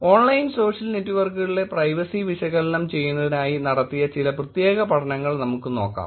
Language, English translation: Malayalam, Now let us look at some specific studies that are being done in terms of analyzing the privacy in online social networks